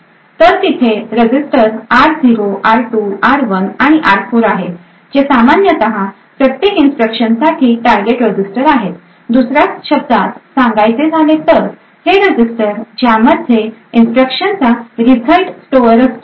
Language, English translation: Marathi, So there are like the registers r0, r2, r1 and r4 which are actually the target registers for each instruction or in other words these are the registers where the result of that instruction is stored